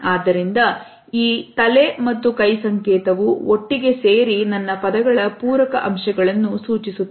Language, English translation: Kannada, So, this head and hand signal associated together suggest a complimentary aspect of my words